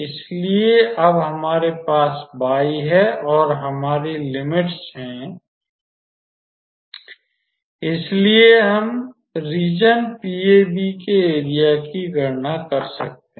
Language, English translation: Hindi, So, now, that we have y and we have our limits, so, we can calculate the area of the region PAB